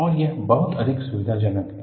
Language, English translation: Hindi, And, that is much more convenient